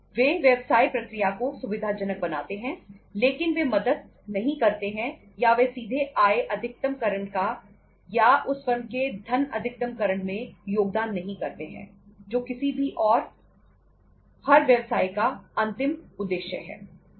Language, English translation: Hindi, They facilitate the business process but they donít help or they donít contribute directly into the say income maximization or the wealth maximization of the firm which is the ultimate objective of any and every business